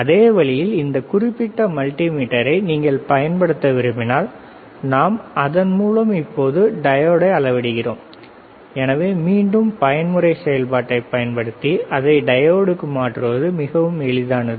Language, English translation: Tamil, Same way, if you want to use this particular multimeter, right and we are measuring the diode; So, again using the mode function, we can change it to diode is very easy